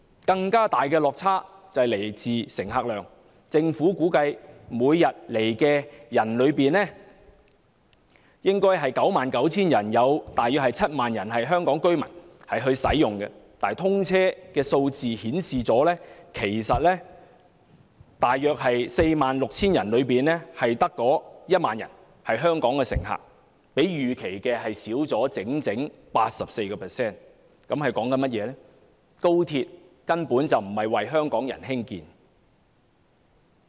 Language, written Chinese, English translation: Cantonese, 更大的落差來自乘客量，政府估計每天來港的 99,000 人中，大約有 70,000 名為香港居民，但通車數字顯示，在 46,500 名乘客中，只有約 10,000 名香港乘客，比預期少 84%， 這代表高鐵根本不是為香港人興建。, The more significant difference lies in patronage . According to the estimate of the Government among the 99 000 passengers arriving at Hong Kong every day 70 000 of them will be Hong Kong residents . Yet as the figures after commission indicate among the 46 500 passengers taking XRL only around 10 000 passengers are Hong Kong residents which is 84 % lower than the estimate